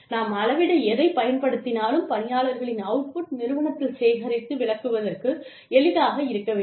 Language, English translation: Tamil, Whatever we use to measure, the output of the human beings, in our organization, should be easy to collect and interpret